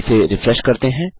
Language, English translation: Hindi, So lets refresh this page